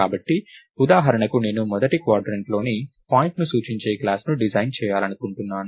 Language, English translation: Telugu, So, for example, may be I want to design a class that is supposed to represent a point in the first quadrant, right